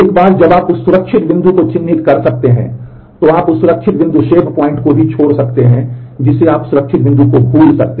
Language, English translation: Hindi, You can once you have marked a safe point you can also, release the safe point that is you can choose to forget that safe point